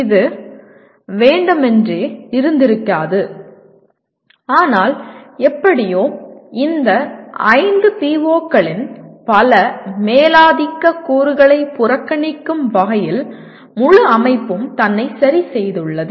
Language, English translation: Tamil, It might not be intentional but it somehow over the period the entire system has adjusted itself to kind of ignore many dominant elements of even these 5 POs